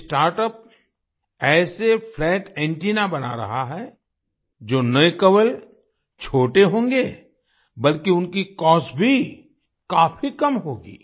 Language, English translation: Hindi, This startup is making such flat antennas which will not only be small, but their cost will also be very low